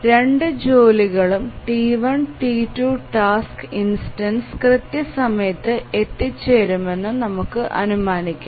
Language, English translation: Malayalam, Let's assume that both the tasks, T1, T2, the task instances start arriving at time zero